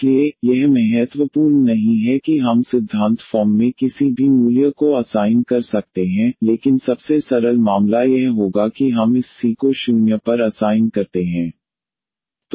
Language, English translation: Hindi, So, this is not important here we can assign any value in principle, but the simplest case would be that we assign this C to 0